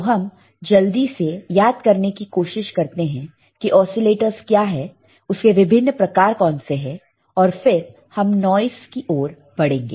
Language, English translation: Hindi, So, let us quickly recall what are the oscillators, and what are the kind of oscillators, and then we will we will move to the noise ok